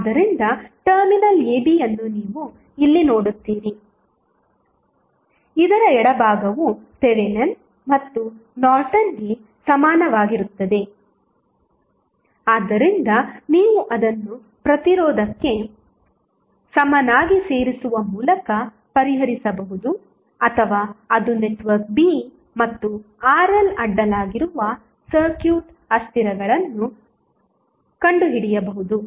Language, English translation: Kannada, So, you will see terminal AB here the left of this would be having either Thevenin's and Norton's equivalent so, that you can solve it by adding that equivalent to the resistance or that is the network B and find out the circuit variables across RL